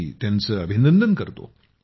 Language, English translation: Marathi, I congratulate him